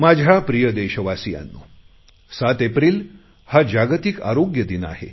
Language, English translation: Marathi, My dear fellow citizens, the World Health Day is on 7th April